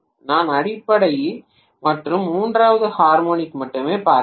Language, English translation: Tamil, I am looking at only the fundamental and third harmonic